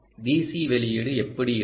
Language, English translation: Tamil, how does the d c output look